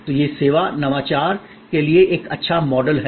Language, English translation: Hindi, So, this is a good model for service innovation